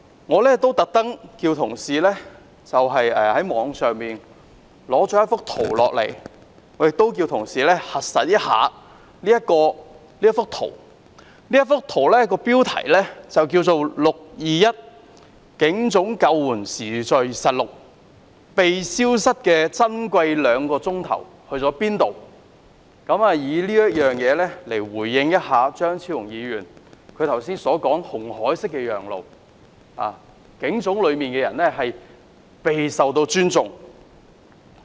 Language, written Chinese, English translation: Cantonese, 我特地叫同事在網上截取一幅圖，亦叫同事核實這幅圖，其標題為 "621 警總救援時序實錄，被消失的珍貴兩小時"，以此回應張超雄議員剛才有關"摩西分紅海"式讓路，警總內的人備受尊重這說法。, He also asked colleagues to refute him if they could . I especially asked my colleague to capture a picture from the Internet and verify its authenticity . I use this picture titled a chronological rescue record at the Police Headquarters on 21 June―a loss of two precious hours to respond to Dr Fernando CHEUNGs remarks about the crowd making way for the ambulance like Moses parting the Red Sea and how patients were given due respect